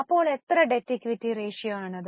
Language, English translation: Malayalam, So, what is the debt equity ratio